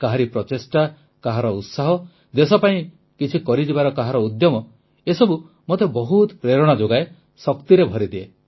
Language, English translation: Odia, Someone's effort, somebody's zeal, someone's passion to achieve something for the country all this inspires me a lot, fills me with energy